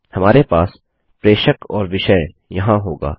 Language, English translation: Hindi, We will have the from and subject in here